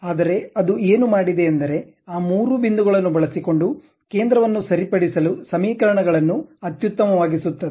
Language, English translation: Kannada, But what it has done is using those three points optimize the equations to fix the center